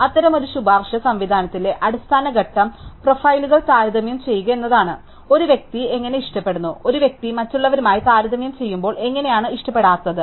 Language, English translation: Malayalam, So, fundamental step in such a recommendations system is that of comparing profiles, how does one persons likes, how do one persons likes and dislikes compare to those of others